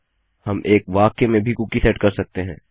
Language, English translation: Hindi, Now we can also set a cookie in a single sentence